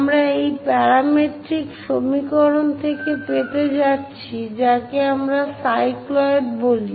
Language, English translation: Bengali, We are going to get from this parametric equations, that is what we call cycloids